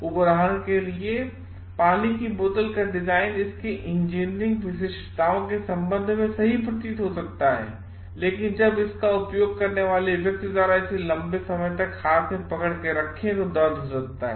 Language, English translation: Hindi, For example, the design of water bottle may seem to be perfect with respect to its engineering specifications, so but might be a pain when the holder it is for long by the person using it